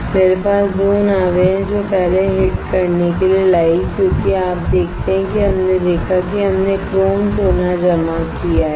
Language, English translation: Hindi, I have 2 boats which brought to hit first because you see we have seen that we have deposited chrome gold